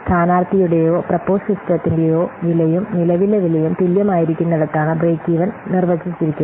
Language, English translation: Malayalam, Break even is defined at the point where the cost of the candidate or the proposed system and that of the current one are equal